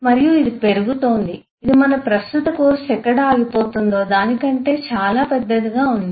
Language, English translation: Telugu, this is eh still getting much bigger than where our current course will stop